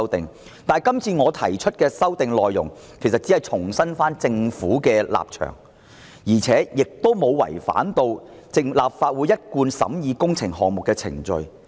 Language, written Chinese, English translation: Cantonese, 但是，我今次提出的修訂議案只是重申政府的立場，沒有違反立法會一貫審議工程項目的程序。, However the amending motion proposed by me this time only seeks to reiterate the Governments position . It does not contravene the established procedures of the Legislative Council in scrutinizing works projects